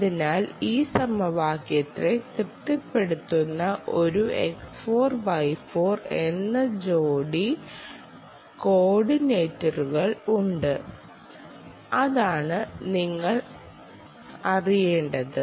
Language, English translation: Malayalam, there will be an pair, x, four, y, four, pair of coordinates that satisfies this equation, and that s all that you need to know, need to do